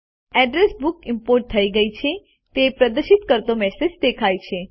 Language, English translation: Gujarati, A message that the address book has been imported is displayed